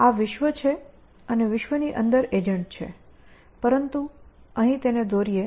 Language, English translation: Gujarati, So, this is world and the agent inside the world, but will draw it here